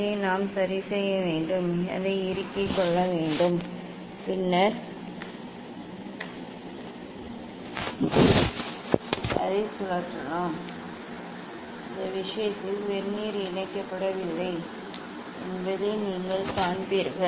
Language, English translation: Tamil, this we have to fixed it, clamped it and then we can rotate it; in this case you see Vernier is not attaching